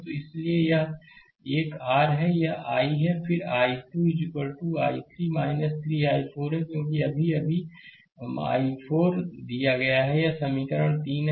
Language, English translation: Hindi, So, so this one your this one I, then i 2 is equal to i 3 minus 3 i 4, right because just now just now, we have given that I is equal to minus i 4, this is equation 3